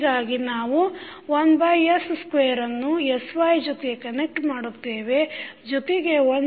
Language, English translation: Kannada, So, we will connect with 1 by s square will connected to sy with 1 by s